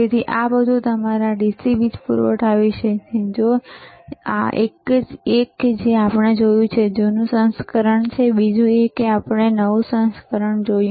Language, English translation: Gujarati, So, this is all about your DC power supply, one that we have seen is older version, and other that we have seen is a newer version